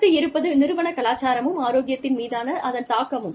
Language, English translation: Tamil, Organizational culture, and its influence on health